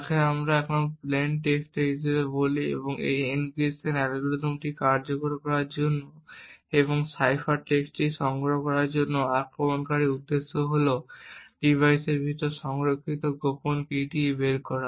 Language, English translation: Bengali, Now the attacker is able to send messages which we now call as plain text trigger this encryption algorithm to execute and also collect the cipher text the objective of the attacker is to somehow extract the secret key which is stored inside the device